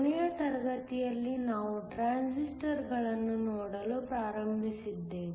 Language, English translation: Kannada, Last class, we started looking at Transistors